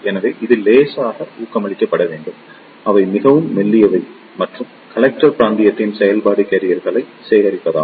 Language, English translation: Tamil, So, this should be lightly doped and they are relative very thin and the function of the Collector region is to collect the charge carriers